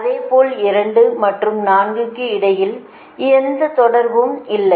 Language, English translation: Tamil, similarly there is no connection between two and four